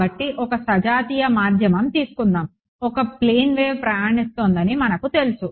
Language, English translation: Telugu, So, in a, let us say a homogeneous medium, we know that a plane wave is traveling right